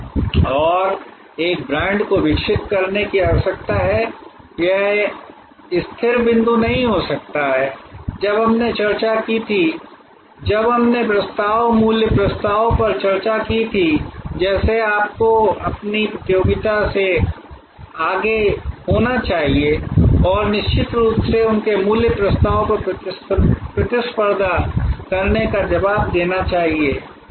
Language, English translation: Hindi, And a brand needs to be evolving it cannot be static point we discussed when we discussed proposition, value proposition that you need to be ahead of your competition and definitely respond to competition their value proposition